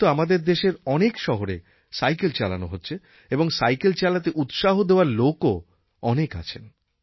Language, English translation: Bengali, Nowadays many cities in our country are witnessing cycle use and there are many people promoting its use